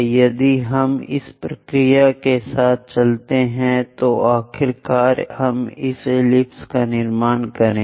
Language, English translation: Hindi, If we go with this procedure, finally we will construct this ellipse